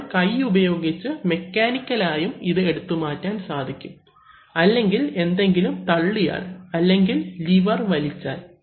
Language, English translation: Malayalam, You may also like to remove it mechanically just by hand or by pushing something, drawn, pulling a lever